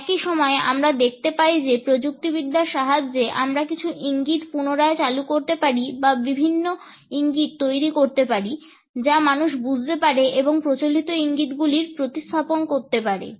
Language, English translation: Bengali, At the same time, we find that with a help of technology, we can re introduce certain cues or generate a different set of cues, which can be understood by people and can replace the conventional set of cues